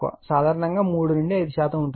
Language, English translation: Telugu, Generally your 3 to 5 percent, right